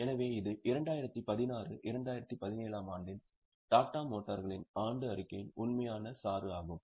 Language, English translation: Tamil, So, this was the actual extract of the annual report of Tata Motors of 1617